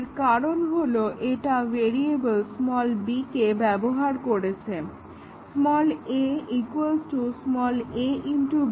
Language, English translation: Bengali, Because, it was using the variable b; a is equal to a into b